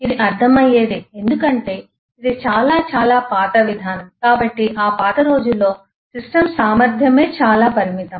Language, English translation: Telugu, It’s understandable because this is been very very old approach and therefore in those eh old days the system capacity itself was very limited